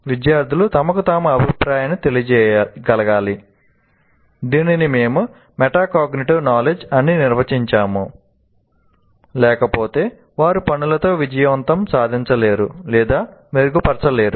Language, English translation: Telugu, Students need to be able to give themselves feedback, that is what we defined also as metacognitive knowledge while they are working, otherwise they will be unable to succeed with tasks or to improve